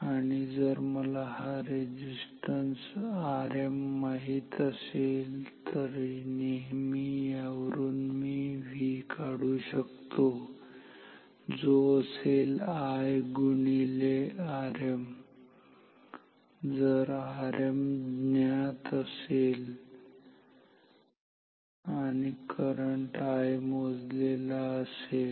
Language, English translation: Marathi, And if I know the value of this resistance R m, then I can always find V is equal to from this I times R m, if R m is known and I is observed